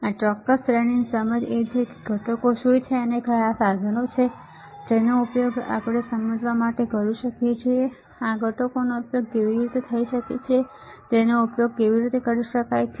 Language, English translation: Gujarati, The understanding about this particular series is what are the components and what are the equipment that we can use to understand how this components would be can be used can be used, right